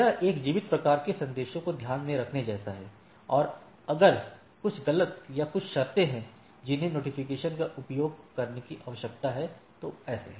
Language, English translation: Hindi, So, it is sort of a beckoning a keep alive type of messages, and there are if there are some erroneous or certain conditions which need to be alerted is using the notification